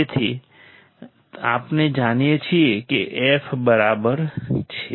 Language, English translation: Gujarati, So, we know that f equals to correct